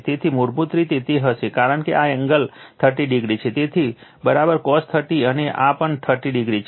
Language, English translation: Gujarati, So, basically it will be V p cos this angle is 30 degree right; so, V p cos 30 and this is also 30 degree